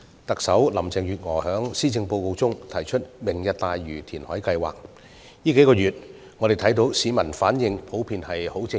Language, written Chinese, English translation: Cantonese, 特首林鄭月娥在施政報告中提出"明日大嶼願景"填海計劃，我們看到市民近數月來的反應普遍十分正面。, We see that over the past few months members of the public have in general responded positively to the reclamation plan titled Lantau Tomorrow Vision put forward by Chief Executive Mrs Carrie LAM in the Policy Address